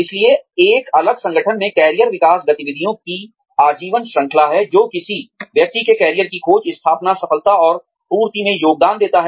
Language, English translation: Hindi, So, in a different organization, career development is the lifelong series of activities, that contribute to a person's career exploration, establishment, success and fulfilment